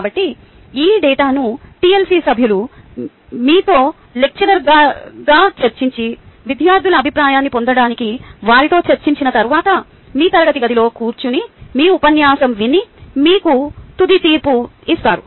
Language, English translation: Telugu, so after this, ah, adequately processing this data, where the tlc members, having a discussion with you as a lecturer and discussing the students to get their feedback, sits in your classroom, goes through, ah um, your lecture sit and gives you a final verdict